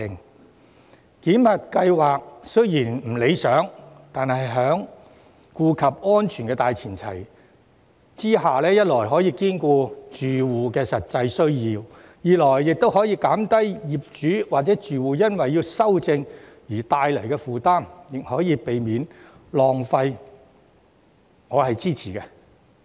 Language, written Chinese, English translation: Cantonese, 雖然檢核計劃並不理想，但在顧及安全的大前提下，一來可兼顧住戶的實際需要，二來可減低業主或住戶因要修正而帶來的負擔，三來可避免浪費，所以我支持檢核計劃。, The validation scheme may not be perfect . Yet on the premise of safety it can first meet the genuine needs of occupants; second minimize the burden of owners or occupants in seeking rectification; and third avoid wastage . I therefore support the validation scheme